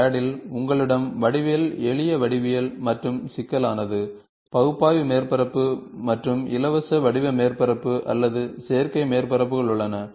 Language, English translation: Tamil, CAD, you have geometric, simple geometric and complex, you have analytical surface and free form surface or synthetic surfaces